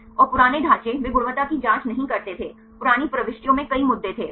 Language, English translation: Hindi, And the older structures they did not perform the quality check there was there were several issues in the old entries